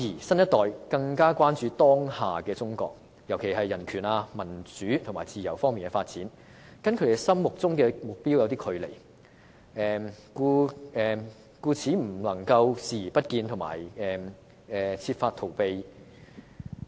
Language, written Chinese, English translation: Cantonese, 新一代更關注的是，當下的中國在人權、民主和自由方面的發展，與他們心中的目標有一段距離，而他們對此故作視而不見或設法逃避。, What the younger generation are more concerned about is that the development of present - day China in terms of human rights democracy and freedom has fallen short of the target that they have in their minds and so they intentionally turn a blind eye to that or try to avoid facing up to that